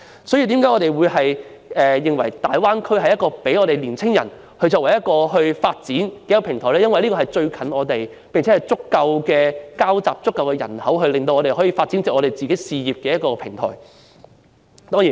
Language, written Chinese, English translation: Cantonese, 所以，我們認為大灣區為青年人的事業發展提供一個平台，因為大灣區靠近香港，而且有錯綜複雜的交織網和足夠人口，為事業發展提供一個平台。, Therefore we think that the Greater Bay Area provides a platform for young peoples career development because the place is close to Hong Kong and there are intricate networks and a large population to provide a platform for career development